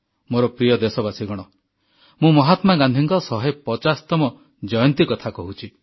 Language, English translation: Odia, My dear countrymen, I'm referring to the 150th birth anniversary of Mahatma Gandhi